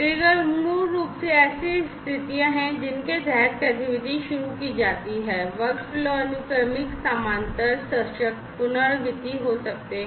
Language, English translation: Hindi, Trigger basically are the conditions under which the activity is initiated, workflow can be sequential, parallel, conditional, iterative, and so on